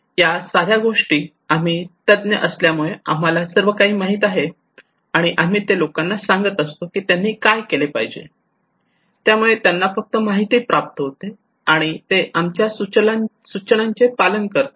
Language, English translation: Marathi, These simple things that we experts know everything and we are passing telling the people what to do and they just get the informations, receive it, and they will follow our instructions okay